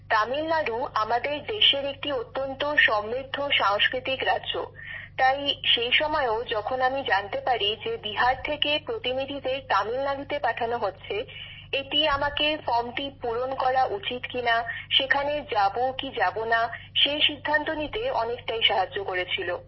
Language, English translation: Bengali, Tamil Nadu is a very rich cultural state of our country, so even at that time when I came to know and saw that people from Bihar were being sent to Tamil Nadu, it also helped me a lot in taking the decision that I should fill the form and whether to go there or not